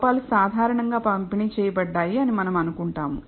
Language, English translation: Telugu, We assume that the errors are normally distributed